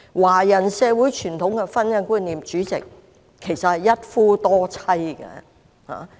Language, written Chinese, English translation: Cantonese, 華人社會的傳統婚姻觀念，主席，其實是一夫多妻的。, In Chinese society President their traditional idea of marriage is polygamy